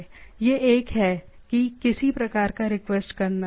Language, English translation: Hindi, One is that requesting the thing